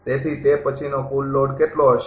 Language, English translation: Gujarati, So, what will be the then total load